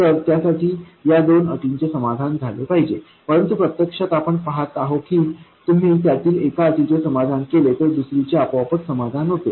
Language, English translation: Marathi, It should satisfy these two constraints, but actually we see that if you satisfy one of them, others will be automatically satisfied